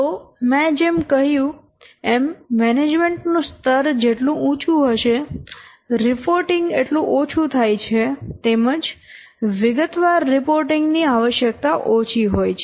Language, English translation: Gujarati, So, as per the rule, the higher the management level, the less frequent is this what reporting